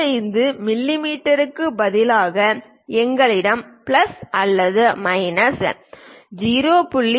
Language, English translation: Tamil, Instead of 25 mm if we have plus or minus 0